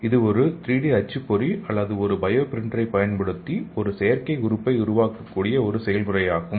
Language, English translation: Tamil, So it is a process where an artificial organ can be created using a 3D printer or bio printer